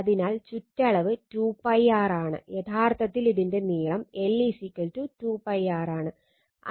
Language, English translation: Malayalam, So, it is circumference is 2 pi r that is actually length l is equal to 2 pi r